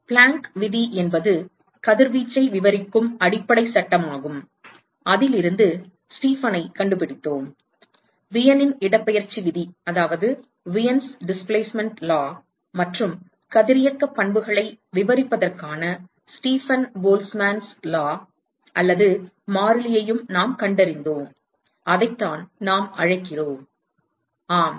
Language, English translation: Tamil, Planck’s law is the fundamental law which describes radiation and from that we found the Stefan; Wien’s displacement law and we also found Stefan – Boltzmann law / constant for describing radiation properties, that is what we call, yes